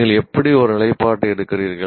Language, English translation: Tamil, How do you take a stand